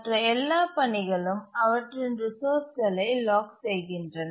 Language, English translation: Tamil, Similarly all other tasks they lock their resources